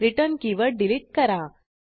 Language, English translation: Marathi, Delete the keyword return